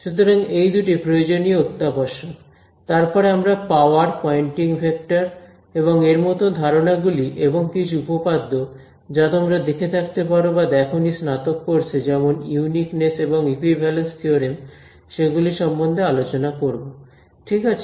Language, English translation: Bengali, So, these two is sort of essential, then we will look at power, poynting vector and concepts like that and a theorem a couple of theorems which you may or may not have seen in an undergraduate course which is about uniqueness and equivalence theorems ok